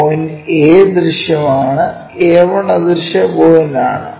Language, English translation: Malayalam, Point A is visible A 1 is invisible point